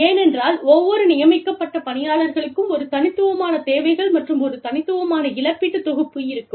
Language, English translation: Tamil, Because, every assignee has a unique set of needs, and a unique set of compensation package